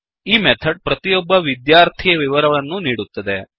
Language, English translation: Kannada, This method will give the details of each student